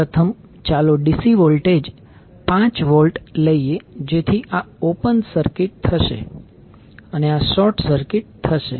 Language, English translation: Gujarati, First, let us take the DC voltage 5 Volt so this will be open circuited, this will be short circuited